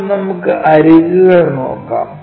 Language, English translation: Malayalam, Now, let us look at edges